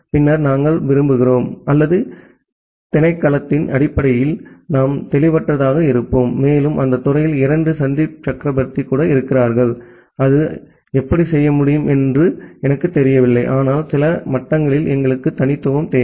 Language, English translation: Tamil, Then we want to or we will possibly disambiguate based on the department and even there are two Sandip Chakraborty in the department, then I do not know how that can be done, but at some level we require uniqueness